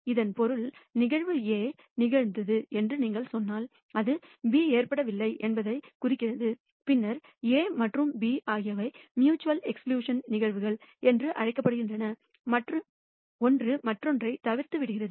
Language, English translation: Tamil, Which means, if you say that event A has occurred then it implies B has not occurred, then A and B are called mutually exclusive events one excludes the other occurrence of one excludes the other